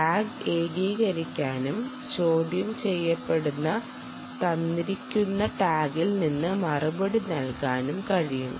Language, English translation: Malayalam, the tag can be singulated and the reply can come from a given tag which is being interrogated